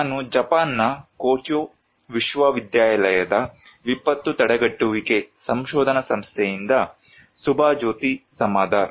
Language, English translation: Kannada, I am Subhajyoti Samaddar from disaster prevention research institute, Kyoto University, Japan